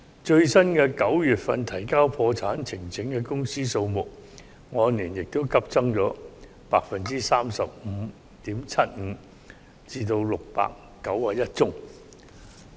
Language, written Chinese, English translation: Cantonese, 最新9月份提交破產呈請的公司數目，亦按年急增了 35.75% 至691宗。, The latest number of bankruptcy petitions filed in September has increased by 35.75 % year on year to 691